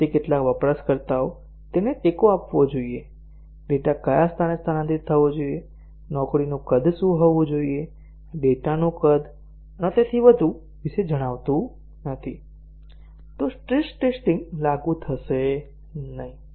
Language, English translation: Gujarati, If it does not tell about how many users, it should support, what is the rate at which the data should be transferred, what should be the job size, data size and so on, then stress testing would not be applicable